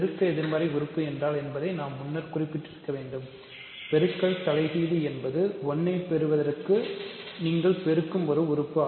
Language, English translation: Tamil, What is multiplicative inverse I should have mentioned that earlier, multiplicative inverse is an element that you multiply to get 1